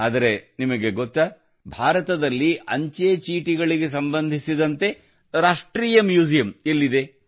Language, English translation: Kannada, But, do you know where the National Museum related to postage stamps is in India